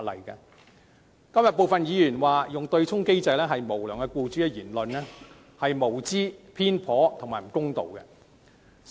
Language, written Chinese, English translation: Cantonese, 因此，今天有部分議員指利用對沖機制的都是無良僱主的言論，實屬無知、偏頗及有欠公道。, Therefore the remarks made by some Members today which referred to those employing the offsetting mechanism as unscrupulous employers are just ignorant biased and unfair